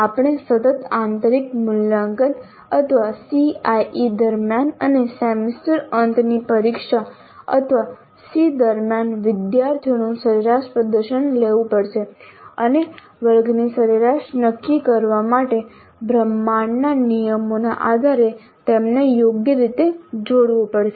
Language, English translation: Gujarati, We have to take the average performance of the students during the internal evaluation or continuous internal evaluation or CIE and during the semester and examination or ACE and combine them appropriately based on the university regulations to determine the class average